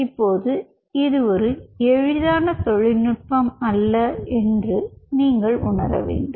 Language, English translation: Tamil, now, having said this, this is not a such an easy technology